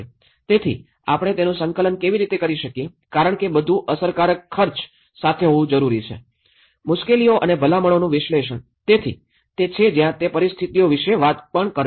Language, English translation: Gujarati, So, how we can coordinate it because everything has to be cost effective, analysis of the distress and recommendations, so that is where it talks about the situations